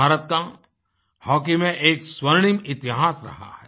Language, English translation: Hindi, India has a golden history in Hockey